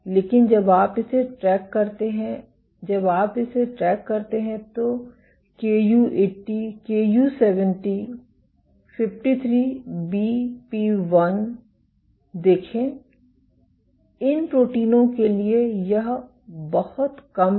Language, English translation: Hindi, But when you track it when you track it for let see Ku80, Ku70 and 53BP1, for these proteins this is lot less